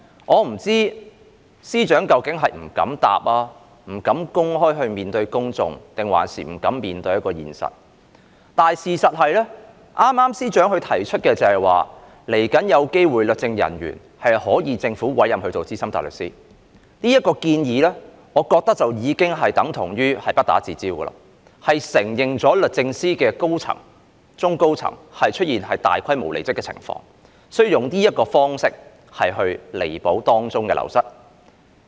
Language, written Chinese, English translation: Cantonese, 我不知道司長是不敢回答、不敢公開面對公眾抑或不敢面對現實，但事實上，司長剛才提到律政人員日後有機會獲政府委任為資深大律師，我認為這項建議等同不打自招，承認律政司的中高層出現大規模離職的情況，所以要用這種方式彌補流失的人手。, I wonder if the Secretary was afraid to answer afraid to face the public or afraid to face the reality . In fact however the Secretary has just mentioned that the Government might appoint legal officers as Senior Counsel in future . In my view by putting forward this proposal DoJ has voluntarily admitted that there is a massive staff departure at the middle and senior levels thus rendering it necessary to make up for the loss of manpower with the proposal